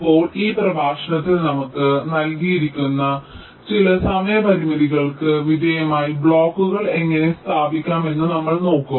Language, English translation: Malayalam, now here in this lecture we shall be looking at how we can place the blocks subject to some timing constraints which are given to us